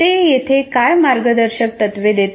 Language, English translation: Marathi, And what are the guidelines they give here